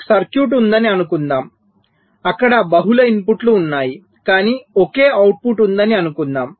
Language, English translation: Telugu, but if i have a circuit like this, well, lets say, there are multiple inputs and also multiple outputs